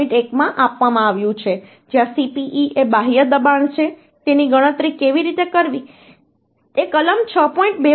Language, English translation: Gujarati, 1 where Cpe is the external pressure how to calculate this is given in clause 6